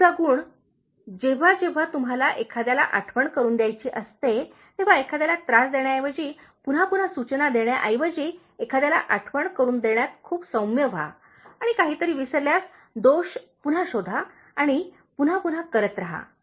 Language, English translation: Marathi, The next quality, whenever you remind someone, be very gentle in reminding someone, instead of nagging and repeatedly suggesting again and again and finding fault for forgetting something and then remaining again and again